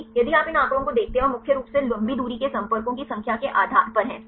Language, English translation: Hindi, If you look at these figures and the based on the number of contacts mainly the long range contacts right